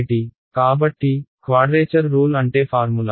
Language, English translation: Telugu, So, quadrature rule means a formula ok